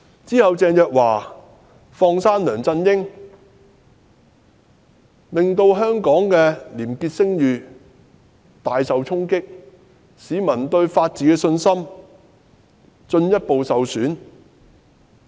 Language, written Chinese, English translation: Cantonese, 然後，鄭若驊"放生"梁振英，令香港的廉潔聲譽大受衝擊，使市民對法治的信心進一步受損。, Subsequently Teresa CHENG let go of LEUNG Chun - ying . This has dealt a severe blow to Hong Kongs reputation as a corruption - free city and further undermined peoples confidence in the rule of law